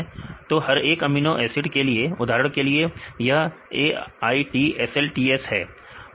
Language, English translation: Hindi, So, for each amino acid for example, this is AITSLTS right